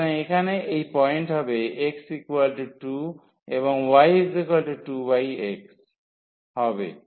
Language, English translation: Bengali, So, here when x is 2 so, y will be 4